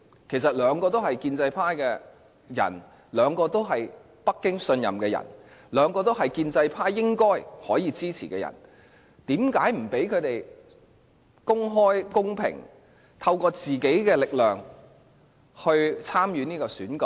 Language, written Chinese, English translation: Cantonese, 其實兩位都是建制派的人，兩位都是北京信任的人，兩位都是建制派應該可以支持的人，為何不讓他們公開、公平，透過自己的力量參與這次選舉？, In fact the two candidates are from the pro - establishment camp; both of them are trusted by Beijing and both of them should get the support of the pro - establishment camp . Why not allow them to compete on their own in an open and equitable election?